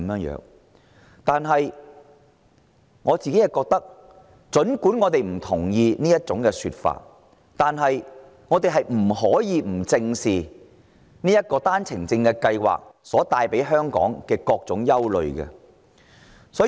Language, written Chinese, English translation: Cantonese, 然而，儘管我們不同意這種說法，我們不得不正視單程證計劃帶給香港的各種憂慮。, That said while disagreeing with those arguments we cannot turn a blind eye to all sorts of concerns caused by the OWP Scheme